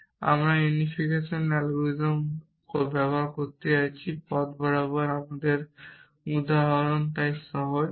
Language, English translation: Bengali, And we are going to use the unification algorithm along the way our example is so simple